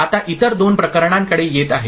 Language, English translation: Marathi, Now coming to the other two cases